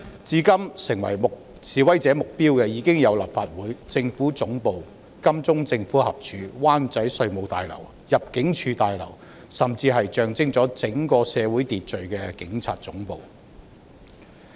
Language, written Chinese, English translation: Cantonese, 至今，已成為示威者目標的有立法會綜合大樓、政府總部、金鐘道政府合署、灣仔稅務大樓、入境事務大樓，甚至是象徵整個社會秩序的警察總部。, So far the targets of the protesters include the Legislative Council Complex Central Government Offices Queensway Government Offices Revenue Tower and Immigration Tower in Wanchai . Even the Police Headquarters a symbol of order of the entire society has become a target of attack